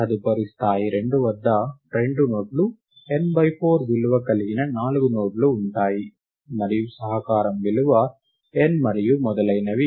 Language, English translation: Telugu, At the next level 2, there are two nodes, four nodes of value n by 4; and the contribution is the value n and so on all the way up to the leaves